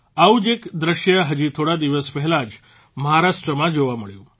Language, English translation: Gujarati, A similar scene was observed in Maharashtra just a few days ago